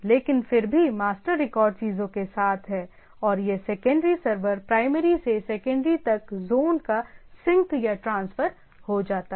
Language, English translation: Hindi, So but nevertheless the master record is with the things and this secondary server get synced or transfer of zone from the primary to secondary